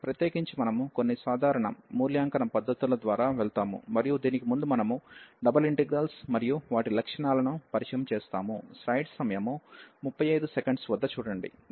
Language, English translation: Telugu, In particular, we will go through some simple cases of evaluation and before that we will introduce the double integrals and their its properties